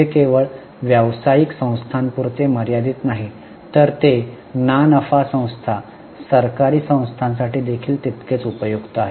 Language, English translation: Marathi, It is not only restricted to business entities, it is equally useful for non profit organizations, for government organizations